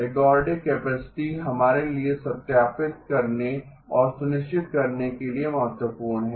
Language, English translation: Hindi, Ergodic capacity, important for us to verify and ascertain